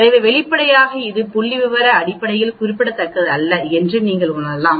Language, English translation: Tamil, So obviously, you can say it is not statistically significant at all